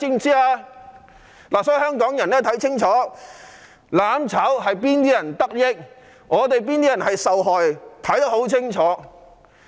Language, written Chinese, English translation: Cantonese, 因此，香港人必須看清楚，"攬炒"最終令哪些人得益、哪些人受害。, Therefore Hong Kong people must see clearly who will benefit and who will suffer from mutual destruction